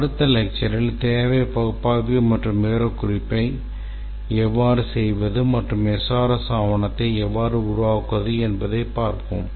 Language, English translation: Tamil, In the next lecture we will see how to do requirements analysis and specification and how to develop the SRS document